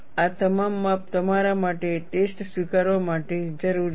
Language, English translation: Gujarati, All this measurements are essential for you to accept the test